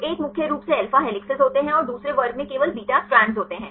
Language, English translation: Hindi, So, one contains mainly alpha helices and the second class contains only beta strands